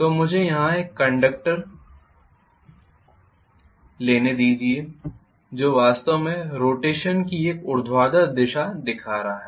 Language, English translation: Hindi, So let me take a conductor here which is actually showing a vertical direction of rotation